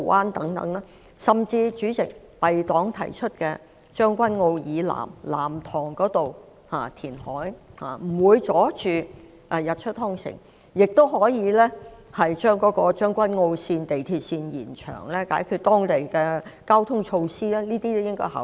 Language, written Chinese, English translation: Cantonese, 代理主席，填海的地點甚至可以是敝黨提出位於將軍澳以南的藍塘，該處既不會遮擋日出康城，亦可透過延長港鐵將軍澳線，解決該區的交通問題，上述建議均值得考慮。, Deputy President Nam Tong located to the south of Tseung Kwan O as proposed by our party can even be another potential reclamation site . Developments there will not block the views of Lohas Park while the transport needs of the district can be met by extending the MTR Tseung Kwan O Line